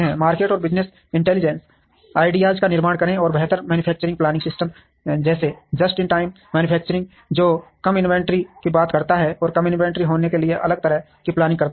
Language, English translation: Hindi, Build market and business intelligence ideas and have better manufacturing planning systems like Just in Time manufacturing, which talks about reduced inventory and different kinds of planning, to have the reduced inventory